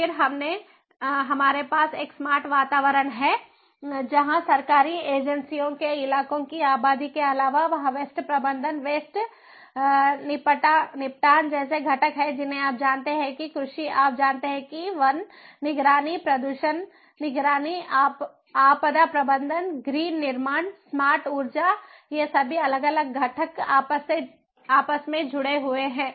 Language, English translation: Hindi, then the we have the smart environment where, in addition to the government agencies, localities, population there, there are components like waste management, waste disposal, you know agriculture, you know forest monitoring, pollution monitoring, disaster management, green constructions, smart energy, these all these different components inter internetworked together, interconnected together in a smart living kind of scenario